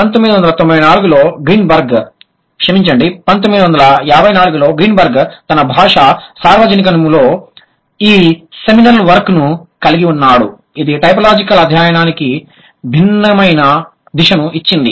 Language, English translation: Telugu, Greenberg in 1994, sorry, Greenberg in 1954, had this seminal work on language universals which gave a different direction to typological study